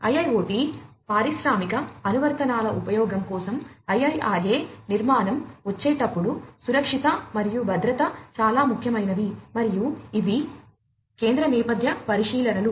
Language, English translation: Telugu, So, safety and security are paramount and central thematic considerations while coming up with the IIRA architecture for use with IIoT industrial applications